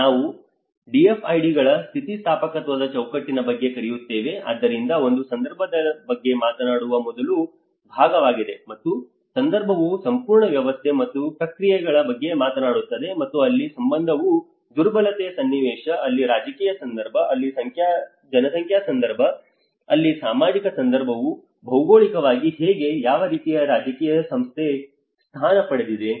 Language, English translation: Kannada, Here we call about DFIDs resilience framework, so one is the first part which talks about the context and where the context talks about the whole system and the processes and that is where when the context where the vulnerability context, where the political context, where the demographic context, where the social context whether how it geographically positioned, what kind of political institution